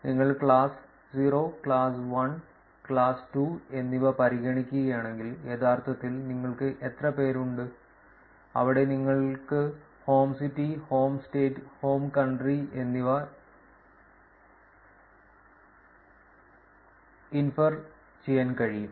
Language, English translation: Malayalam, If you just consider the class 0, class 1 and class 2, how many people are actually where you can infer home city, home state, and home country